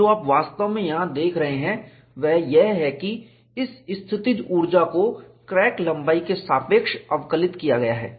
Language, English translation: Hindi, And, what you are actually seeing here is, this potential energy is differentiated with respect to the crack length